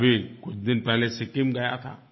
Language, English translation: Hindi, I visited Sikkim few days ago